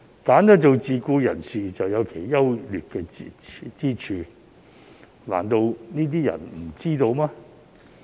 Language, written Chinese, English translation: Cantonese, 選擇做自僱人士，自有其優劣之處，難道這些人不知道嗎？, There must be pros and cons for working as self - employed persons and will those who choose to do so have no idea at all about these?